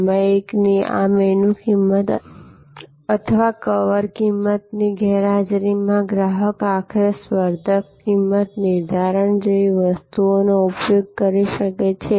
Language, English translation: Gujarati, In the absence of this menu price or cover price of the magazine, customer may use something like a competitor pricing ultimately